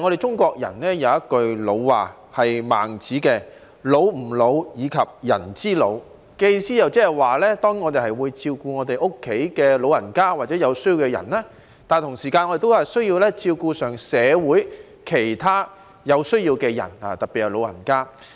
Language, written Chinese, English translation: Cantonese, 中國人有一句老話，是《孟子》的"老吾老以及人之老"，意思是我們要照顧家中長者或有需要的人，但同時間也需要照顧社會上其他有需要的人，特別是長者。, As an old Chinese saying from Mencius goes Treat with the reverence due to age the elders in your own family so that the elders in the families of others shall be similarly treated which means that while we have to take care of the elderly or those in need in the family we also have to take care of other people in need in society especially the elderly